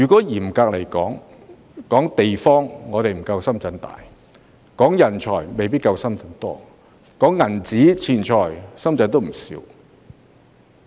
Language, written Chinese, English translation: Cantonese, 嚴格來說，我們不及深圳地大；人才亦未必夠深圳多；而錢財，深圳也有不少。, Strictly speaking we are not as big as Shenzhen in terms of land area; we may not have as many talents as Shenzhen; and as to money Shenzhen also has plenty